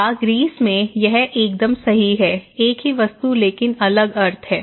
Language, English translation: Hindi, Or in Greece that is just perfect; that is just perfect, the same meaning, a same object but different meaning